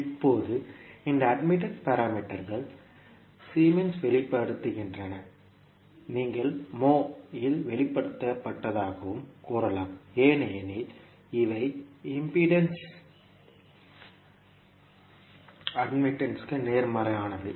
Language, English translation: Tamil, Now, these admittance parameters are expressed in Siemens, you can also say expressed in moles because these are opposite to impedance